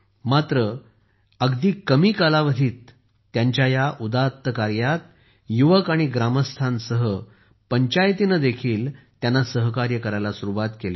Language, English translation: Marathi, But within no time, along with the youth and villagers, the panchayat also started offering full support in this noble work